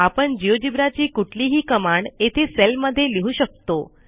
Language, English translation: Marathi, Now any command from the geogebra can be typed in a cell here